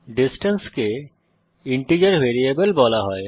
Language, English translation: Bengali, The name distance is called an integer variable